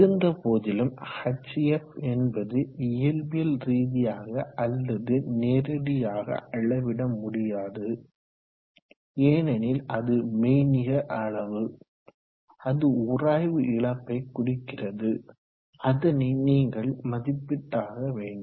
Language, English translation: Tamil, However, hf is not physically measurable, because this is a virtu7al quantity it represents a friction loss you need to estimate it